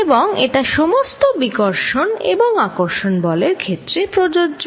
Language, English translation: Bengali, And this covered all the repulsive and attractive forces